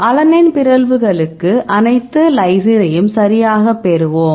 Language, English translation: Tamil, We will get all the lysine to alanine mutations right